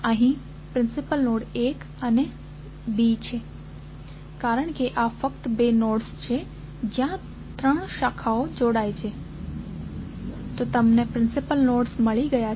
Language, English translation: Gujarati, The principal nodes here are 1 and B because these are the only two nodes where number of branches connected at three, so you have got principal nodes